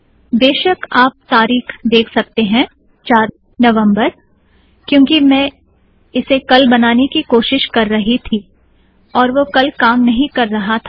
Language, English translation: Hindi, Of course you can see that this date is 4th November, I was trying to do this yesterday also and it didnt work yesterday